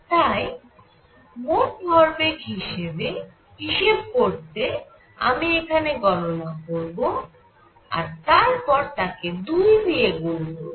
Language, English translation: Bengali, So, net momentum is going to be I will calculate this and multiply it by 2